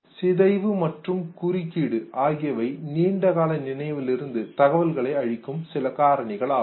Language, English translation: Tamil, Decay and interference are some of the factors that lead to loss of information from a long term storage